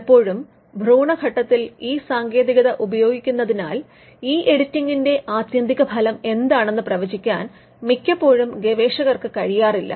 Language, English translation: Malayalam, Because, most of the time that technique is used at the embryonic stage and researchers are not able to predict what could be the ultimate consequence of these editing